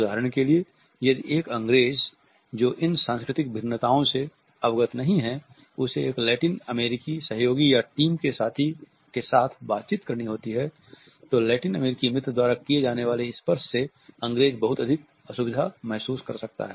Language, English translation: Hindi, For example if an Englishman who is not aware of these cultural differences has to interact with a Latin American colleague or a team mate then the Englishman may feel very uncomfortable by the level of touch the Latin American friend can initiate at his end